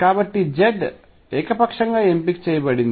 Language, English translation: Telugu, So, z is chosen arbitrarily